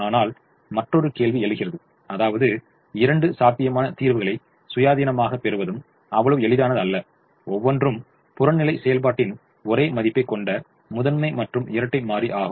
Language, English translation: Tamil, it is not also that easy to get two feasible solutions independently, one each to the primal and dual having the same value of the objective function